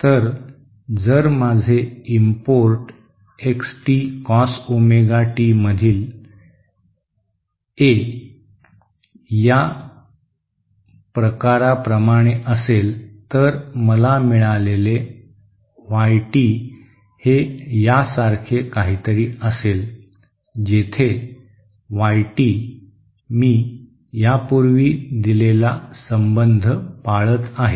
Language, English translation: Marathi, So if my import X t is like this of this form A in Cos Omega t, then the Y t that I get will be like something like this, where Y t follows this relationship that I have given earlier